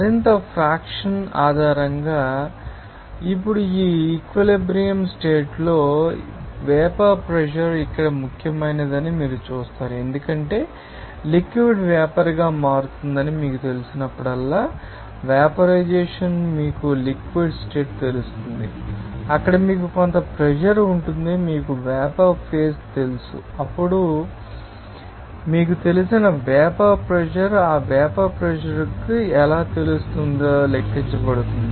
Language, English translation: Telugu, Based on more fraction, now, at this equilibrium condition, you will see that vapor pressure is important there, because whenever you know liquid will be converting into vapour, evaporate you know liquid state there will be you know that some pressure will be exerting that you know vapor phase, then it will be regarded as that you know that vapour pressure now, how that vapor pressure will be you know, calculated